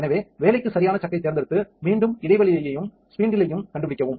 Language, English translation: Tamil, So, select the right chuck for the job, again find recess and the spindle